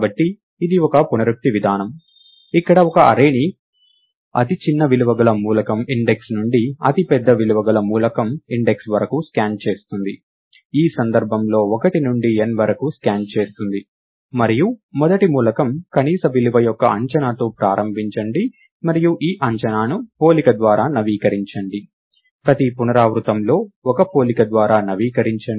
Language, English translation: Telugu, So, this is an iterative procedure, where one scans the array from the element index by the smallest value up to the element index by the largest value in this case 1 to n, and start of with the, an estimate of the minimum value to be the first element and update this estimate by a comparison, by one comparison in each iteration